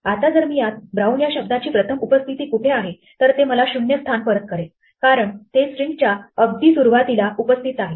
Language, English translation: Marathi, " Now if I ask it to look for the first occurrence of the word "brown", then it will return the position 0 because it is right there at the beginning of string